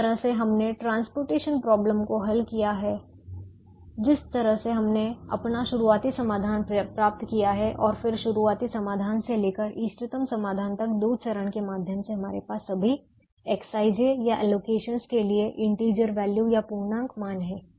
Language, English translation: Hindi, the way we have solved the transportation problem and the way we obtained our starting solution and then from the starting solution to the optimum solution, the two stage, right through we had integer values for the x, i, j's or the allocations